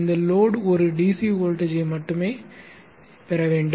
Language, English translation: Tamil, This load is supposed to get only a DC voltage